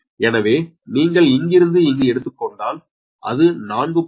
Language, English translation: Tamil, this is given four, so it is plus four